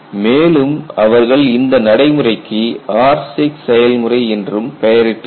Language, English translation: Tamil, And they have also named the procedure as R6 procedure